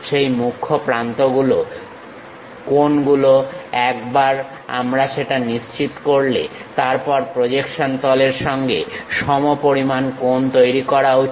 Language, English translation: Bengali, We once we decide what are those principal edges, they should make equal angles with the plane of projection